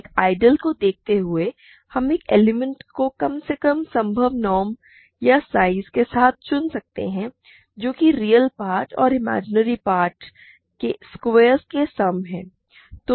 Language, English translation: Hindi, Given an ideal we can pick the pick an element with the least possible norm or size which is the sum of squares of the real and imaginary parts